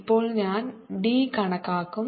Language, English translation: Malayalam, now i will calculate d